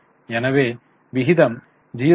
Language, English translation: Tamil, So, you are getting 0